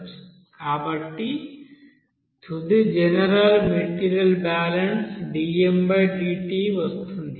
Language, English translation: Telugu, So the final general material balance will come as dm by dt